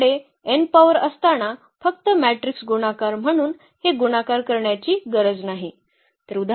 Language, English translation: Marathi, So, we do not have to do this multiplication as the matrix multiplication just simply when we have the power n